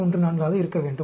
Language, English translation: Tamil, 414; that will be a point